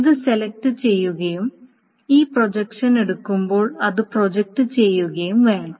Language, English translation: Malayalam, So it must be selected, it must be projected when this projection is being taken